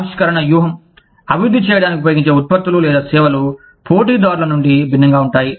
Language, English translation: Telugu, Innovation strategy, used to develop, products or services, different from those of, competitors